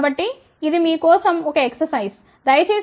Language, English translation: Telugu, So, this is an exercise for you people please find out take this as 0